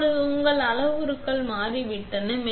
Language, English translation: Tamil, Now, your parameters have changed